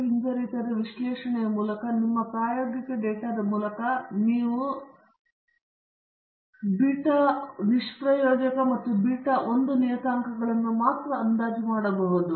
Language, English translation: Kannada, So, through a linear regression analysis and your experimental data, we can only estimate the parameters beta naught and beta 1